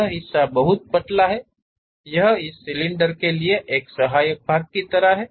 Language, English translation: Hindi, This part is very thin, it is more like a supporting element for this cylinder